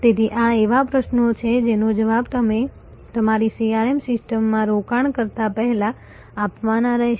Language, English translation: Gujarati, So, these are the questions, which must be answered first before you invest into your CRM system